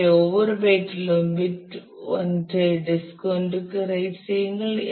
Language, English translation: Tamil, So, write bit I of each byte to disk I it is